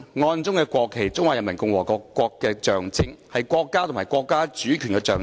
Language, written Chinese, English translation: Cantonese, 案中國旗是中華人民共和國的象徵，是國家和國家主權的象徵。, It is a unique symbol The national flag is the symbol of the Peoples Republic of China . It is the symbol of the State and the sovereignty of the State